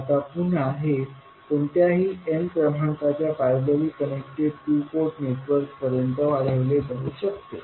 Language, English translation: Marathi, Now, again this can be extended to any n number of two port networks which are connected in parallel